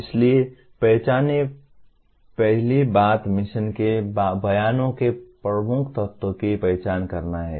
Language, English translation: Hindi, So identify, first thing is identify the key elements of mission statements